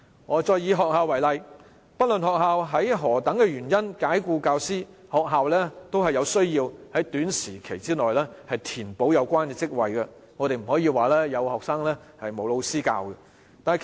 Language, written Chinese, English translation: Cantonese, 我再以學校為例，不論學校以任何原因解僱教師，都需要在短期內填補有關職位，不能出現有學生但沒老師授課的情況。, Regardless of the reason for the school to dismiss a teacher it has to fill the post within a short period of time for lessons cannot be conducted without a teacher